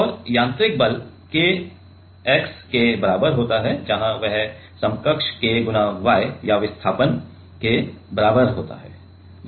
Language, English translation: Hindi, And mechanical force is equal to K x and that is K equivalent × y or the displacement right